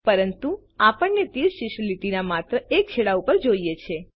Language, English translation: Gujarati, But we need an arrowhead on only one end of the line